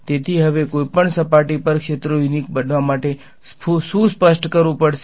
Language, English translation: Gujarati, So, now, what do I have to specify for the fields to be unique on which surface